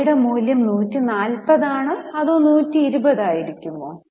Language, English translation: Malayalam, Should they value at 140 or they should value at 120